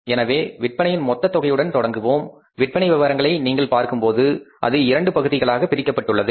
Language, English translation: Tamil, So, we will be starting with the total amount of the sales and when you see the sales, particulars means the sales and it is divided into two parts